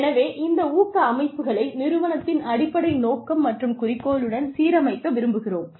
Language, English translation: Tamil, So, we also want to align these incentive systems, with the strategic mission, strategic objectives of the organization